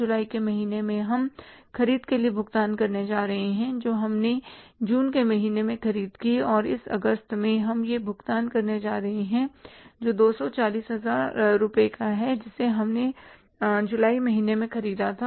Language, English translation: Hindi, Second is going to be how much in the month of July we are going to pay for the purchases which we made in the month of June and in the this August we are going to pay this is 240,000 rupees which we purchased in the month of July